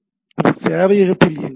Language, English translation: Tamil, It is running at the server